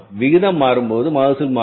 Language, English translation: Tamil, When the proportion is changing, yield will change